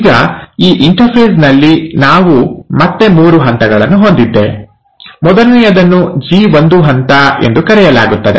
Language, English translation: Kannada, Now in this interphase, we again have three stages, the first one is called as the G1 phase